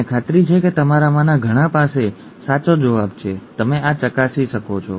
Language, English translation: Gujarati, I am sure many of you have the right answer, you can check this